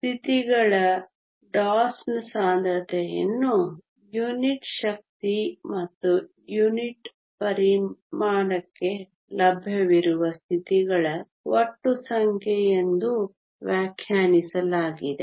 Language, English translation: Kannada, The density of states DOS is defined as the total number of available states per unit energy and per unit volume